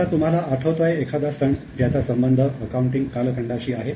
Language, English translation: Marathi, Now do you know any Hindu or Indian festival which is associated with accounting or bookkeeping